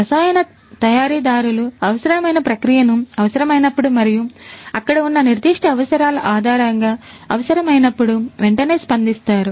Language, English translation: Telugu, Chemical manufacturers can respond immediately to the required process whenever it is required as and when it is required based on the specific requirements that might be there